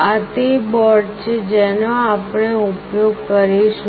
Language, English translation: Gujarati, This is the board that we will be using